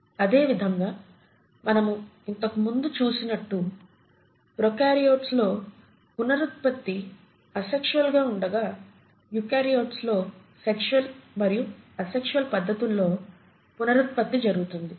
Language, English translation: Telugu, And as we had seen last time prokaryotes mainly reproduce asexually, but in contrast to prokaryotes, eukaryotes exhibit both sexual and asexual mode of reproduction